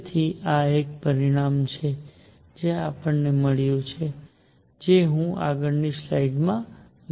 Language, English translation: Gujarati, So, this is a result which we have got which I will through take to the next slide